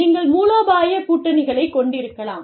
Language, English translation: Tamil, You could have, strategic alliances